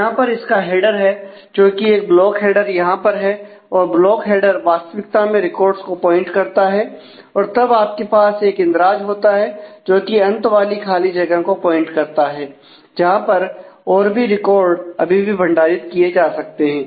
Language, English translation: Hindi, So, it has a block header as in here and the block header has actually pointers to the records and then you have a an entry which points to the end of the free space where more records can still be stored